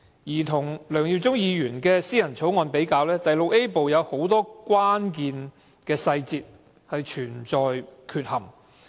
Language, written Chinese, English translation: Cantonese, 與梁耀忠議員的議員法案相比，第 VIA 部很多關鍵細節付之闕如。, Compared with the Members Bill of Mr LEUNG Yiu - chung many details could not be found in Part VIA